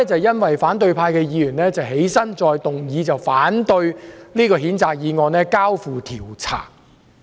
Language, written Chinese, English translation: Cantonese, 現時反對派議員再次提出議案，反對將這項譴責議案交付調查。, Now the opposition Members have once again proposed a motion to oppose referral of this censure motion for investigation